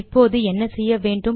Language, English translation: Tamil, And then what do we do